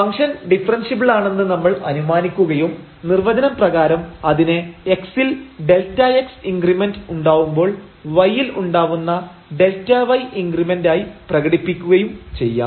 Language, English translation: Malayalam, So, we assume that the function is differentiable and what this will imply as per the definition that we can express this delta y increment in delta y when an increment in x is given by delta x